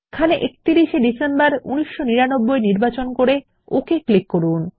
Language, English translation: Bengali, Here we will choose 31 Dec, 1999 and click on OK